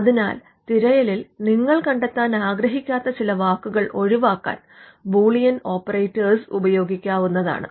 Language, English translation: Malayalam, So, you would use Boolean operators to avoid certain words which you do not want to figure in the search